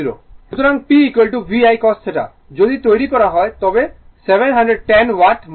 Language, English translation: Bengali, So, P is equal to VI cos theta, if you make you will get same as 710 watt right